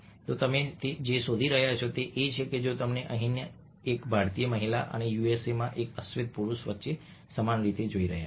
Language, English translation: Gujarati, so what you find is that, if you are looking at same way between a indian woman here and black man in the us